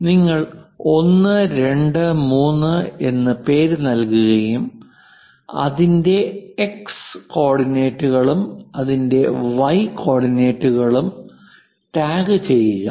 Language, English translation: Malayalam, You just give the name 1, 2, 3 kind of names, tag what we call and its X coordinates its Y coordinates